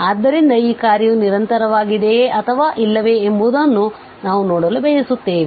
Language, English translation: Kannada, So, we want to see whether this function is continuous or not